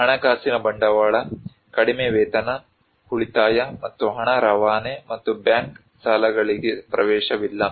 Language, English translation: Kannada, Financial capital: also like low wages, no savings and no remittance and no access to bank loans